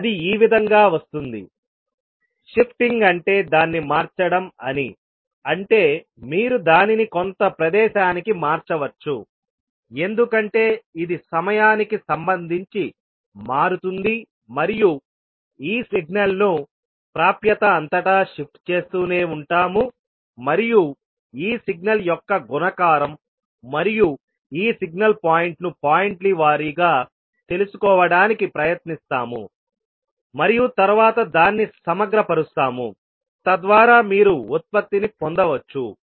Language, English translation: Telugu, So this will become like this, shifting it, shifting it means you can shift it at some location because it will vary with respect to time and we will keep on shifting this signal across the access and we will try to find out the multiplication of this signal and this signal point by point and then integrate it so that you can get the product